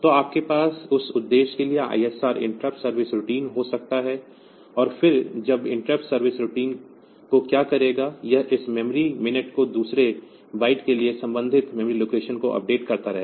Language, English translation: Hindi, So, you can have an ISR interrupt service routine for that purpose and then what that interrupt service routine will do, it will be updating the corresponding memory location for this hour minute second those bytes and naturally